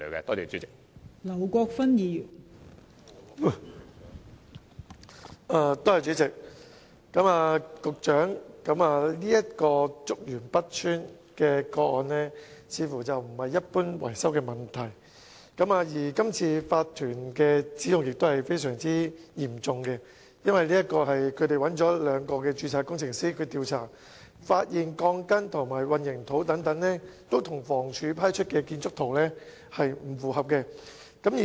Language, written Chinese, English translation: Cantonese, 代理主席，竹園北邨這宗個案似乎不是一般的維修問題，而今次法團的指控亦非常嚴重，因為他們找來兩名結構工程師調查，發現鋼筋及混凝土等均與房屋署批出的建築圖則不相符。, Deputy President it seems that the case of Chuk Yuen North Estate is not one of general maintenance problems . The allegations of the OC are very serious as two structural engineers had been commissioned to conduct investigation and they found that the steel bars and the concrete slabs etc . did not comply with the drawings approved by HD